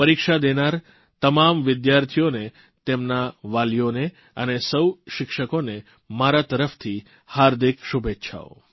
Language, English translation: Gujarati, My best wishes to all the students who're going to appear for their examinations, their parents and all the teachers as well